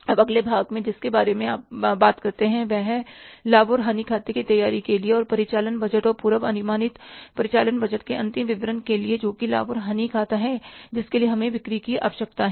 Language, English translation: Hindi, Now, next part we'll be talking about is that for say preparing the profit and loss account and the operating budget and the final statement of the operating budget, that is the profit and loss account, we need to have the sales